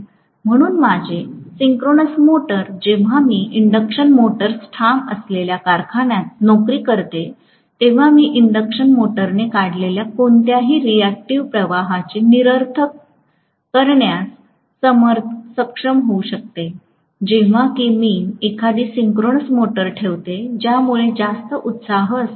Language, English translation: Marathi, So, my synchronous motor, when I employ in a factory which is insisted with induction motors, I would be able to nullify any reactive current that are being drawn by the induction motor, provided I put a synchronous motor which is having excess excitation